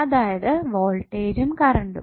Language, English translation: Malayalam, That is voltage and current